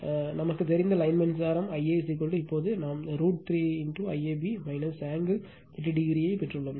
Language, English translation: Tamil, So, line current we know I a is equal to just now we have derived root 3 I AB minus angle minus 30 degree